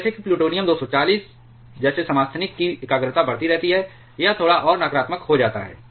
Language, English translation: Hindi, And as the concentration of isotopes like plutonium 240 keeps on increasing, it becomes a bit more negative